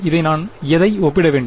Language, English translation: Tamil, What should I equate this to